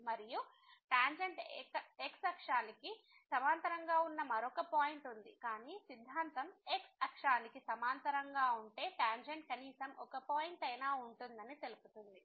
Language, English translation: Telugu, And, there is another point where the tangent is parallel to the , but the theorem says that there will be at least one point where the tangent will be parallel to the